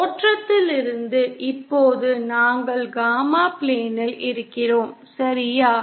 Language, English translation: Tamil, From the origin of the, now we are in the gamma plane, ok